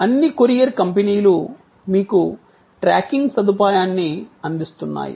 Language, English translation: Telugu, So, that is you know all courier companies they providing you tracking facility